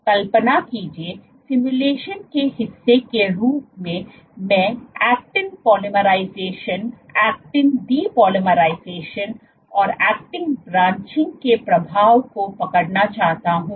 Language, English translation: Hindi, Imagine, so, as part of the simulation what do I want to do I want to capture the effect of actin polymerization, actin depolymerization, actin branching